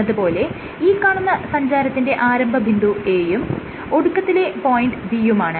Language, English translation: Malayalam, Let us say this is the starting point A and this is the ending point B